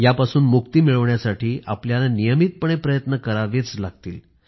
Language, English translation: Marathi, To free ourselves of these habits we will have to constantly strive and persevere